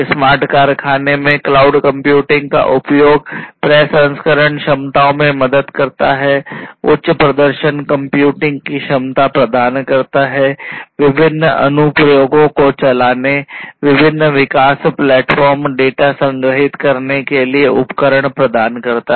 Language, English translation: Hindi, So, use of cloud computing in smart factory helps in the processing capabilities, providing the capability of high performance computing, giving tools for running different applications, giving tools for different development platforms, giving tools for storing the data easily